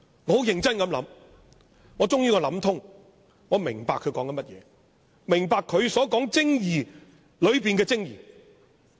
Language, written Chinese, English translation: Cantonese, 我終於想通了，我明白他在說甚麼，明白他所說精義當中的精義。, I have finally figured it out . I understood what he was talking about and what was the very essence he referred to in the article